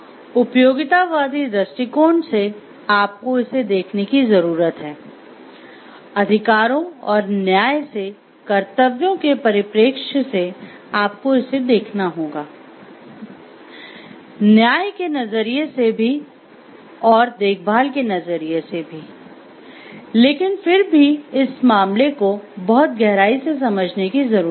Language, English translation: Hindi, From the utilitarian perspective you need to look at it, from the rights and justice, duties perspective you have to look it, from the justice perspective also and the care perspective, but if the case needs to be like delved into much deeper